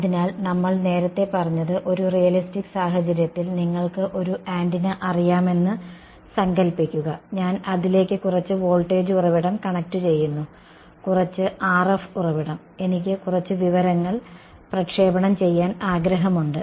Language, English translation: Malayalam, So, what we said earlier was that in a realistic scenario imagine you know an antenna I connect some voltage source to it ok, some RF source, I wanted to broadcast some information